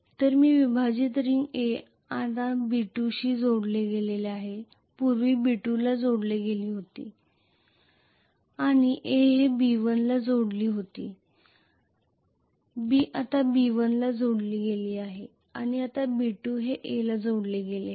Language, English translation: Marathi, So this is split ring A now which is connected to B2 previously B was connected to B2 and A was connected to B1 now B is connected to B1 and B2 is connected to A